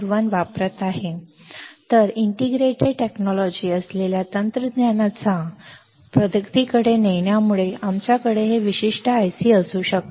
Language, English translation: Marathi, So, leading to adventment or advancement of the technology which is integrated technology, we could have this particular IC ok